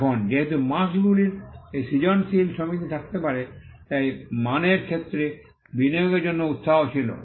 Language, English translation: Bengali, Now, because marks can have this creative association, there was an incentive to invest in quality